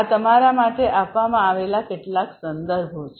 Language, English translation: Gujarati, These are some of the references that have been given for you